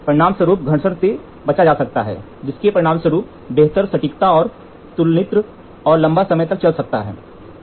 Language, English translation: Hindi, As a consequence, friction is avoided, resulting in better accuracy and long life of comparator